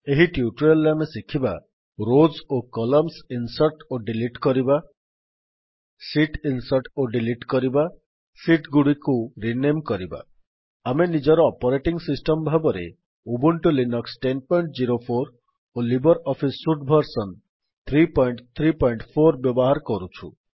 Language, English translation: Odia, In this tutorial we will learn about: Inserting and Deleting rows and columns Inserting and Deleting sheets Renaming Sheets Here we are using Ubuntu Linux version 10.04 as our operating system and LibreOffice Suite version 3.3.4